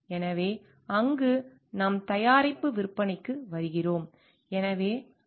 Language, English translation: Tamil, So, there we come up with the sale of the product